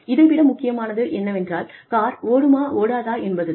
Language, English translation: Tamil, But, what matters more is, whether the car will run or not